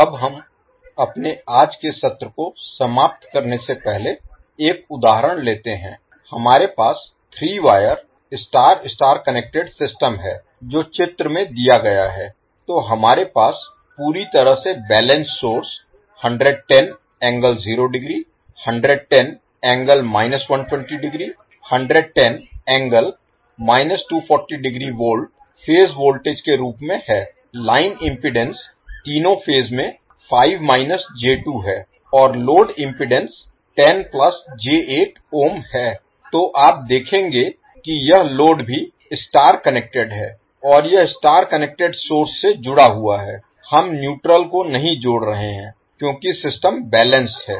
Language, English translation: Hindi, Now let us take one example before closing our today’s we have three wire star star connected system which is given in the figure so we have source completely balanced 110 angle 0 degree 110 minus 120, 110 minus 240 degree volt as the phase voltages line impedance is five angle five minus J2 in all the three phases and load impedance is 10 plus J8 ohm, so you will see that this load is also star connected and it is connected to the start connected source we have we are not connecting the neutral because system is balanced